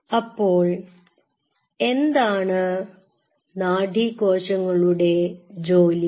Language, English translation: Malayalam, Now what is the function of a neuron